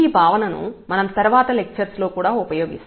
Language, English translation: Telugu, So, this concept we will also use later on in many lectures